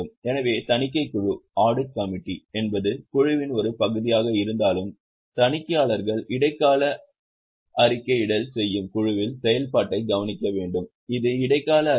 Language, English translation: Tamil, So, audit committee, though is a part of board, is supposed to overlook the functioning of the board to whom the auditors make interim reporting